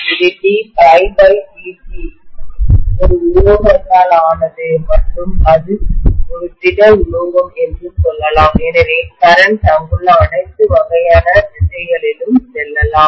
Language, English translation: Tamil, Let us say it is made up of a metal and it is a solid metal, so the currents can go in all sorts of directions there